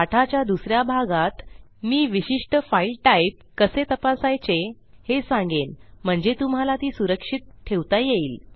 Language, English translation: Marathi, In the second part of this tutorial, Ill quickly teach you how to check the specific file type so you can protect it against file types